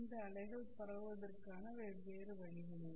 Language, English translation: Tamil, These are the different ways in which these waves are transmitted